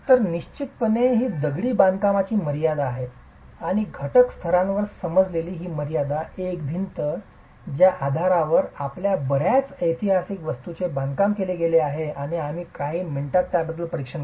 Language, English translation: Marathi, So, this is definitely the limitation of masonry and this limitation understood at the component level, a single wall, is the basis with which many of our historical structures have been constructed and we will examine that in a few minutes